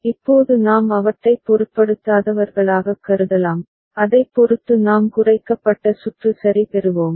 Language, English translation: Tamil, Now we can consider them as don’t care and depending on that we will get a minimized circuit ok